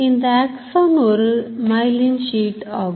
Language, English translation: Tamil, So, this is the myelin sheet